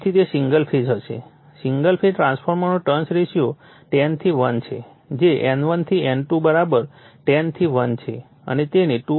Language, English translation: Gujarati, So, that will be single phase single phase transformer has a turns ratio 10 is to 1 that is N1 is to N2 = 10 is to 1 and is fed from a 2